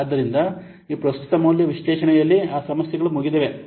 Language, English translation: Kannada, So, this present value analysis, it controls the above problems